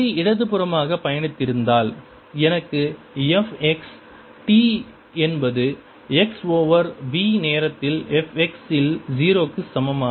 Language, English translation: Tamil, if the wave was traveling to the left, i would have had f x t equals f at x is equal to zero at time x over v